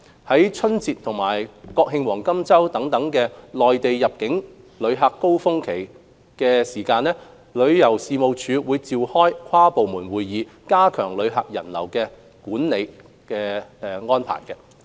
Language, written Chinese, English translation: Cantonese, 在春節和國慶黃金周等內地旅客入境高峰期前，旅遊事務署會召開跨部門會議，加強旅客人流的管理措施。, Before peak periods of Mainland visitor arrivals including the Chinese New Year and National Day Golden Week the Tourism Commission convenes inter - departmental meetings to strengthen visitor crowd control measures